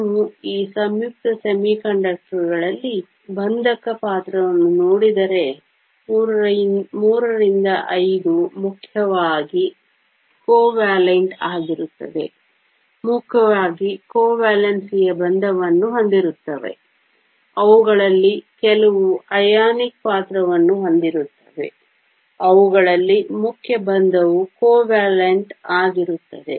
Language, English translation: Kannada, If you look at the bonding character in this compound semiconductors III V are mainly covalent, mainly have covalent bonding, they do have some ionic character in them the main bonding is covalent